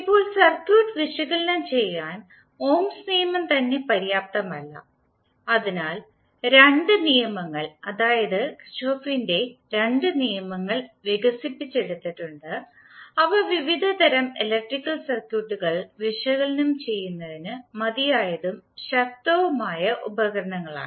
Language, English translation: Malayalam, Now, the Ohm’s Law itself is not sufficient to analyze the circuit so the two laws, that is Kirchhoff’s two laws were developed which are sufficient and powerful set of tools for analyzing the large variety of electrical circuit